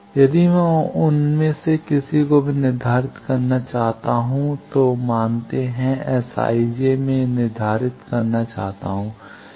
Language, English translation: Hindi, If I want to determine any of them, let us say S i, j, I want to determine